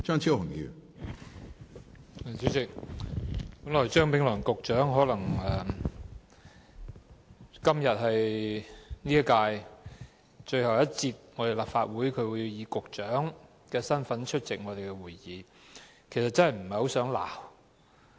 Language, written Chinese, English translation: Cantonese, 主席，今天是張炳良局長在本屆立法會最後一次以局長身份出席會議，我真的不想責罵他。, President today it is the last time that Mr Anthony CHEUNG attends the meeting of the Legislative Council in his capacity as the Secretary and I really do not want to reproach him